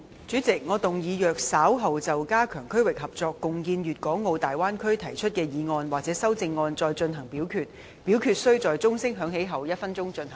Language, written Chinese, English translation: Cantonese, 主席，我動議若稍後就"加強區域合作，共建粵港澳大灣區"所提出的議案或修正案再進行點名表決，表決須在鐘聲響起1分鐘後進行。, President I move that in the event of further divisions being claimed in respect of the motion on Strengthening regional collaboration and jointly building the Guangdong - Hong Kong - Macao Bay Area or any amendments thereto this Council do proceed to each of such divisions immediately after the division bell has been rung for one minute